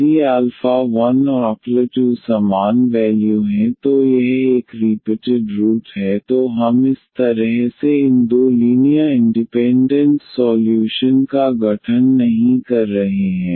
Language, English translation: Hindi, If alpha 1 alpha 2 are the same value it’s a repeated root then we are not forming these two linearly independent solutions in this way